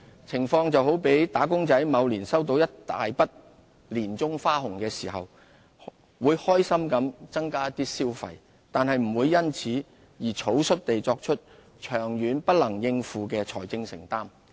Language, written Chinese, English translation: Cantonese, 情況就好比"打工仔"某年收到一筆大額的年終花紅時，會開心地增加一點消費，但不會因此而草率地作出長遠不能應付的財政承擔。, It is much the same as an employee who may happily spend a bit more upon receiving a large sum of year - end bonus in a certain year but would not recklessly make any unaffordable long - term financial commitment